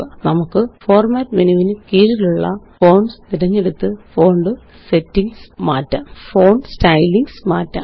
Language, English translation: Malayalam, We can change the font style by choosing Fonts under the Format menu